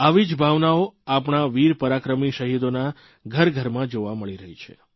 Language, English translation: Gujarati, Similar sentiments are coming to the fore in the households of our brave heart martyrs